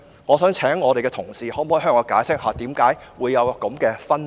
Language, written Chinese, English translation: Cantonese, 我想請同事向我解釋為何會有這分別。, I would like to invite colleagues to explain such a difference to me